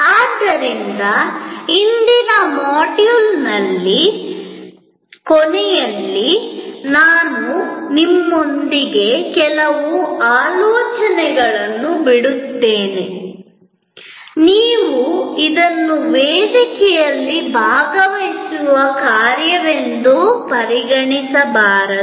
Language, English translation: Kannada, So, at the end of today's module, I leave with you some thoughts, you can consider this as an assignment for participation in the forum